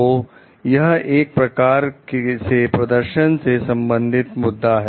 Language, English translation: Hindi, So, that is the performance issue